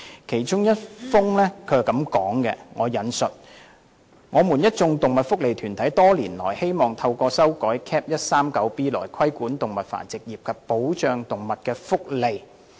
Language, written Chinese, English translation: Cantonese, 其中一封信提到，"我們一眾動物福利團體多年來希望透過修改 Cap. 139B 來規管動物繁殖業及保障動物福利。, As mentioned in one of the letters we a group of animal welfare organizations have strived for years to regulate the animal breeding trade and protect animal welfare by amending the law